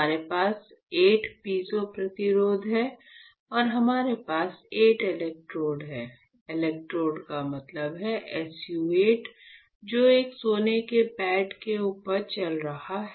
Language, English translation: Hindi, So, we have 8 piezo resistors and we have 8 electrodes right; electrodes mean, SU 8 which is conducting over a gold pad